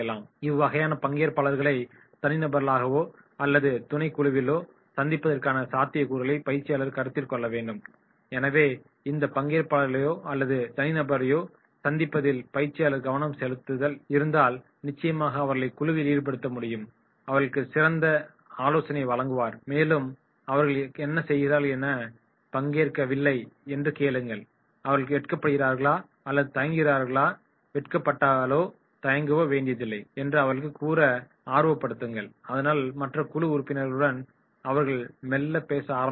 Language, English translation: Tamil, Trainer should consider the possibility of meeting these participants as individuals or in a subgroup, so if the person is involved in meeting these participants or individuals then definitely in that case you have to involve them in the group, and counsel them, talk to them and asking them whatever they are doing, they are not participating, they are feeling shy or hesitant, do not feel shy, do not feel hesitant, talk to the other group members and slowly and slowly they will be more interactive